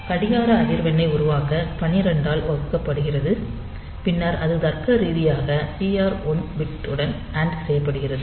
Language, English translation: Tamil, So, it is divided by 12 to generate the clock frequency and then that is logically anded with that TR1 bit